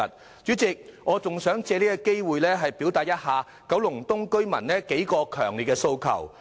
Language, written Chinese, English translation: Cantonese, 代理主席，我還想藉着這個機會轉達九龍東居民的數個強烈訴求。, Deputy Chairman I would like to take this opportunity to express several strong aspirations of the residents of Kowloon East